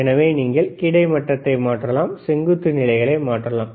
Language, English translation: Tamil, So, you can change the horizontal, you can change the vertical positions ok, this nice